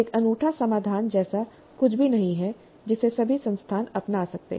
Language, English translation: Hindi, There is nothing like one unique solution which can be adopted by all institutes